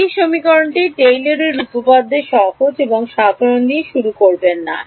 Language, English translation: Bengali, No start with this equation Taylor’s theorem plain and simple